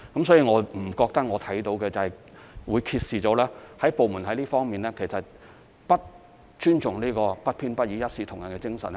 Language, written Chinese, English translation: Cantonese, 所以，我不認為這個案揭示了部門在這方面不尊重不偏不倚、一視同仁的精神。, Therefore I do not think that this case has revealed any disrespect from the departments for the impartial and equitable manner in handling these cases